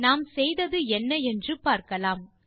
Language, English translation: Tamil, And now let us see what we did